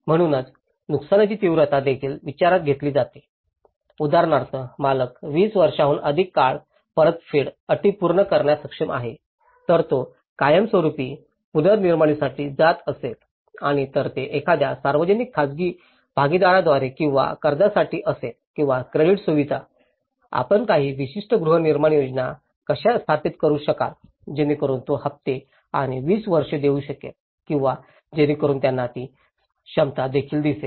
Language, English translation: Marathi, So, the intensity of the damage is also considered, the owner is capable of meeting the repayment terms over 20 years for instance, if he is going for a permanent reconstruction and if it is through a kind of public private partnerships or to a loan or credit facilities so, how you can also establish certain housing schemes, so that he can pay instalments and 20 years or so that they will also see that capability